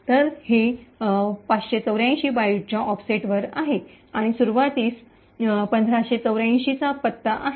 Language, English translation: Marathi, So, this is at an offset of 584 bytes and has an address of 1584 from the start